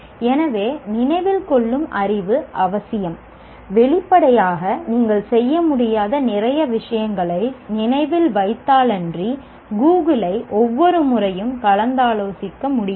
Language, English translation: Tamil, So, remembering knowledge is essential, obviously for, unless you remember whole lot of things you cannot perform, everything cannot be looked at, uh, consult, Google cannot be consulted at every step